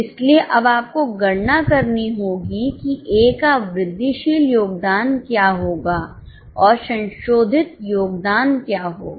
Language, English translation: Hindi, So, now we have to calculate what will be the incremental contribution of A and what happens is, first of all, your sales of A